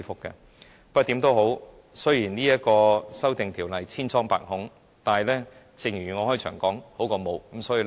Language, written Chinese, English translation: Cantonese, 無論如何，雖然這項《條例草案》千瘡百孔，但正如我開始時所說，有總比沒有好。, In any event though this Bill is so faulty just as I said at the beginning having it is still better than none